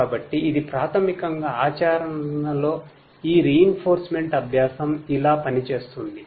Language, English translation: Telugu, So, this is basically how this reinforcement learning in practice is going to work